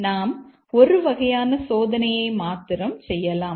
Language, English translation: Tamil, We might as well do just one testing